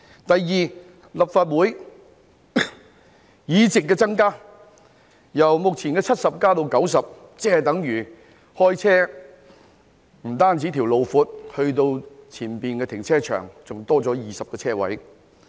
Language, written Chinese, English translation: Cantonese, 第二，增加立法會議席，由目前的70席增加至90席，即是等於駕駛時，不僅加闊了前往停車場的道路，還增加了20個車位。, Second by increasing the number of seats in the Legislative Council from 70 currently to 90 it means that when we are driving not only the road to the car park is widened but 20 additional parking spaces are also provided